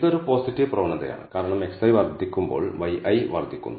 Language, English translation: Malayalam, This is a positive trend because when x i increases y i increases